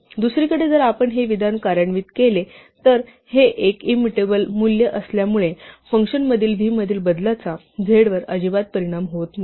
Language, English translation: Marathi, On the other hand, if we execute this statement, then because this is an immutable value the change in v inside the function does not affect z at all